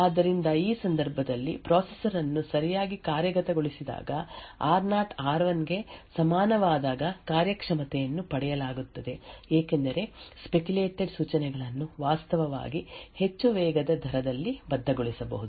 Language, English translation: Kannada, So, when the processor as executed correctly in this case when r0 is equal to r1 then a performance is gained because the speculated instructions could actually be committed at a much more faster rate